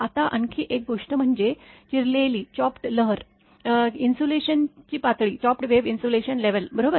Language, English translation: Marathi, Now, another thing is chopped wave insulation level right